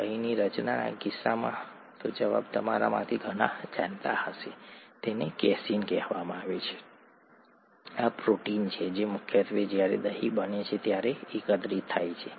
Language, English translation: Gujarati, Which protein aggregates, okay, in the case of curd formation, the answer, many of you may know it, it’s called casein, this is the protein that mainly aggregates when curd gets formed